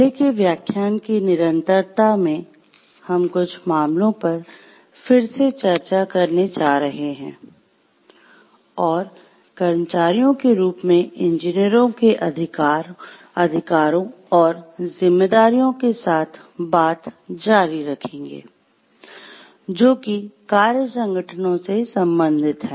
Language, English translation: Hindi, In continuation with the earlier lecture now, we are going to discuss again some of the cases and continue with the further rights and responsibilities of the engineers as employees, who are related to some work organizations